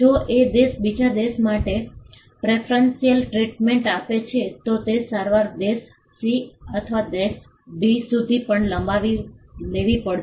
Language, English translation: Gujarati, If country A offers a preferential treatment to country B then that treatment has to be extended to country C or country D as well